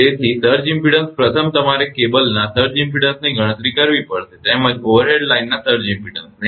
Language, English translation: Gujarati, So, surge impedance first you have to compute surge impedance of the cable, as well as surge impedance of the overhead line